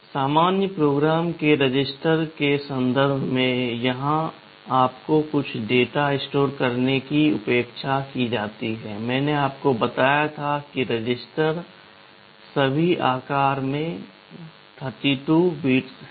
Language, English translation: Hindi, In terms of the general purpose registers where you are expected to store some data, I told you the registers are all 32 bits in size